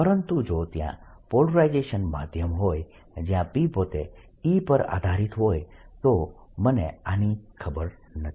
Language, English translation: Gujarati, but if there is a polarizable medium where p itself depends on e, i do not know this